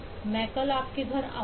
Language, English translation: Hindi, Ill go to your home tomorrow